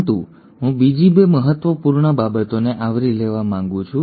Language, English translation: Gujarati, But, I want to cover 2 other important things